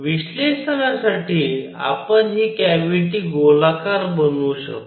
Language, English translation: Marathi, For analysis, we can take this cavity to be spherical